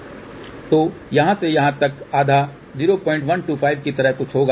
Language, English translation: Hindi, So, from here to here half will be something like 0